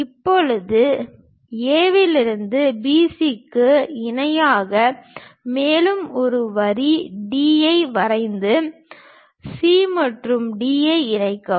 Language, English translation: Tamil, Now, parallel to B C from A draw one more line D and connect C and D